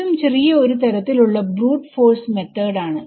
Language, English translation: Malayalam, It is also a little bit of a brute force method as we will see